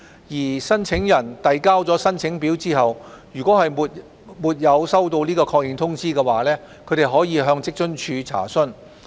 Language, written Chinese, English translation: Cantonese, 如申請人遞交申請表後沒有收到確認通知，可向職津處查詢。, Applicants who have not yet received the acknowledgement after submission of the application form may make enquires with WFAO